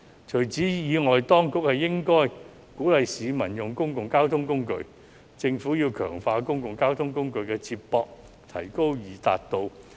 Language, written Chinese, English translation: Cantonese, 除此之外，當局應鼓勵市民使用公共交通工具，強化公共交通工具的接駁，提高易達度。, In addition the Government should encourage the public to use public transport enhance public transport connections and improve accessibility